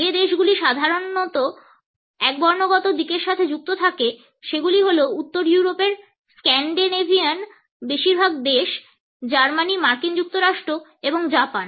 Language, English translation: Bengali, The countries which are typically associated with a monochronic orientation are most of the countries in northern Europe the scandinavian countries Germany USA and Japan